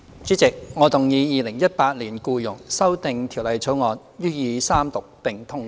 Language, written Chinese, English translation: Cantonese, 主席，我動議《2018年僱傭條例草案》予以三讀並通過。, President I move that the Employment Amendment Bill 2018 be read the Third time and do pass